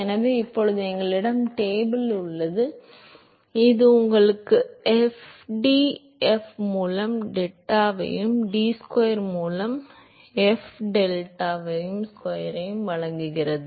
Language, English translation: Tamil, So, he is worked out the is now we have table which gives you fdf by deta and d square f by deta square